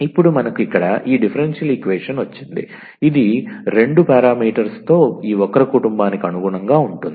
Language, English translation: Telugu, So, now, we got this differential equation here, which corresponds to this family of curves with two parameters